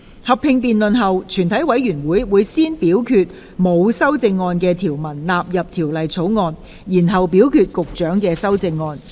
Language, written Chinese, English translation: Cantonese, 合併辯論結束後，全體委員會會先表決沒有修正案的條文納入《條例草案》，然後表決局長的修正案。, Upon the conclusion of the joint debate the committee will first vote on the clauses with no amendment standing part of the Bill and then the Secretarys amendments